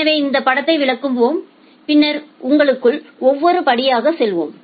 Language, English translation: Tamil, So, let us explain this figure and then we will go to the internals of every individual step